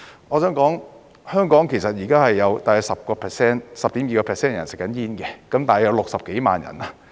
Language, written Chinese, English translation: Cantonese, 我想說，香港現時大約有 10.2% 的人吸煙，大約有60幾萬人。, I would like to mention that about 10.2 % of the people in Hong Kong are smokers at present so there are some 600 000 of them